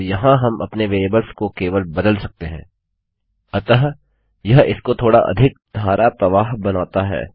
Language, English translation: Hindi, Then we can just replace our variables in here so it makes it a bit more....,a bit more fluent